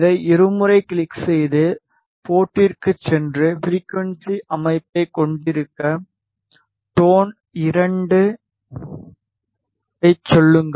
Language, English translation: Tamil, ah Double click on this, go to port and say tone 2 to have the frequency setting